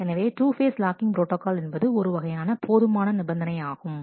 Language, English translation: Tamil, So, two phase locking protocol is kind of a sufficiency condition